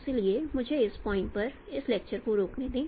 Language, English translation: Hindi, So with this let me stop this lecture at this point